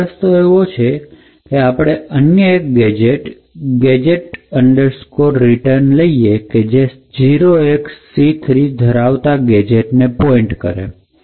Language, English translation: Gujarati, So one way to do this is by introducing another gadget known as the gadget return which essentially points to a gadget containing just 0xc3